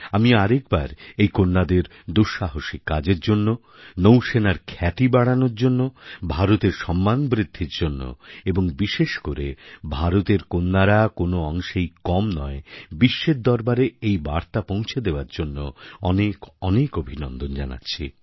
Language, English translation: Bengali, Once again, I congratulate these daughters and their spirit of adventure for bringing laurels to the country, for raising the glory of the Navy and significantly so, for conveying to the world that India's daughters are no less